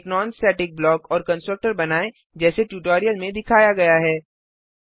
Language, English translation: Hindi, Create a non static block and a constructor as shown in the tutorial